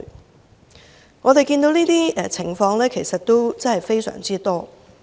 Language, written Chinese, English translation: Cantonese, 就我們所見，這種情況其實非常多。, So far as we can see such cases are abundant in fact